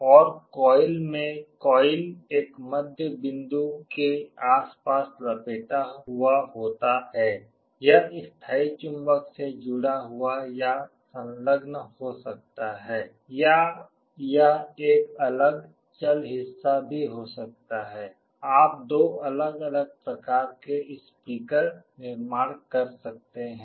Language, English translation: Hindi, And in the coil, coil is wound around a middle point this can be connected or attached to the permanent magnet, or this can be a separate movable part also, there can in two different kind of speakers you can manufacture